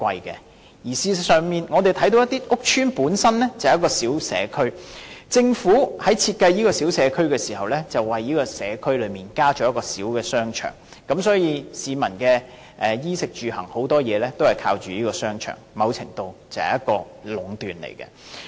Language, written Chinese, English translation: Cantonese, 事實上，我們看到有些屋邨本身是一個小社區，政府在設計這個小社區時為社區增設一個小商場，所以市民的衣、食、住、行等大部分也依靠這個商場，某程度已是一種壟斷。, In fact we have seen that some public housing estates are themselves small communities and when designing a small community the Government will provide a small shopping centre for this small community . Therefore the residents will rely on this shopping centre to meet their basic necessities and most aspects of living and this to a certain extent already constitutes some sort of monopolization